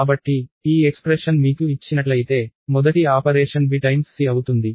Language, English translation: Telugu, So, if this expression is given to you, the very first operation that will be done would be b times c